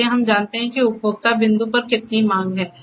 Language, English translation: Hindi, So, that we know how much demand is consumed at the consumer point